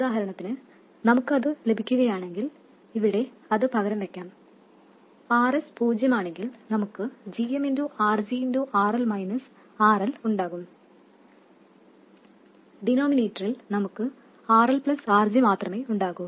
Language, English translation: Malayalam, If we do that, for instance, we get, let me substitute that in here, if RS is 0, we will have GM RG RL minus RL and in the denominator we will only have RL plus RG